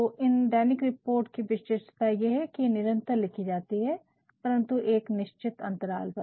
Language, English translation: Hindi, So, the specifications of these routine reports are that they are written regularly, but at fixed intervals